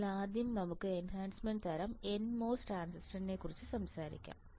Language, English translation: Malayalam, So, let us first talk about enhancement type n mos transistor